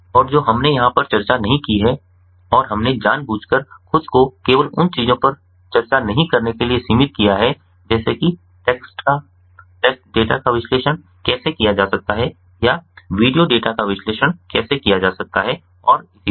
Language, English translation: Hindi, but these are the basic ah analytic methods and what we have not discussed over here and we have intentionally confined ourselves to not discussing things like how text can be, how text can be analyzed, textual data or how video data can be analyzed and so on